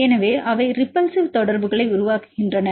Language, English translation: Tamil, So, they make the repulsive interactions